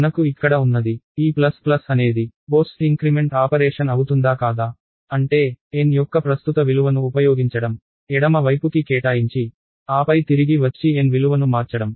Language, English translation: Telugu, So, what we have here is this plus plus is a post increment operation what; that means, is use the current value of n, assign to the left side and then comeback and change the value of n